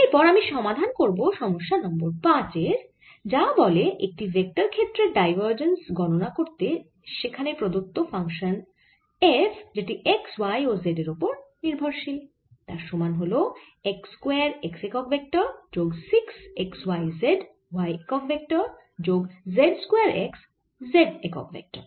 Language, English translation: Bengali, next i solve problem number five, which says the divergence of vector field described by the function f is as a function of x, y and z is equal to x square x unit vector plus six x, y, z, y unit vector plus z square x, z unit vector